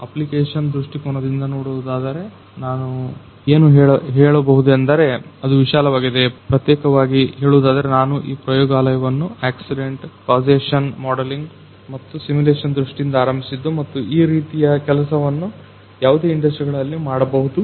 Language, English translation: Kannada, And from application point of view what I can tell you that it is enormous, particularly although we have started this lab from the accident causation modelling and simulation point of view and that this kind of work can be done in any kind of industries